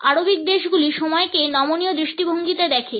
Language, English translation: Bengali, The Arabic countries in the perception of time as a flexible vision